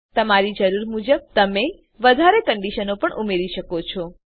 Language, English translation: Gujarati, You can also add more conditions based on your requirement